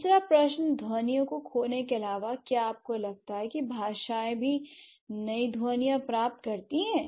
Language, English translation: Hindi, The third question, besides losing sounds, do you think languages also gain new sounds